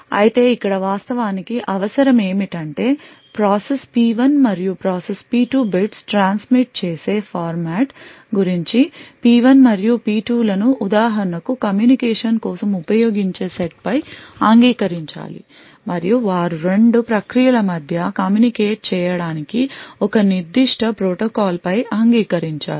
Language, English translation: Telugu, However what is actually required over here is that process P1 and process P2 have an agreement about the format in which the bits are transmitted crosses P1 and P2 for example should agree upon the sets which are used for the communication and also they would have to agree upon a particular protocol for communicating between the two processes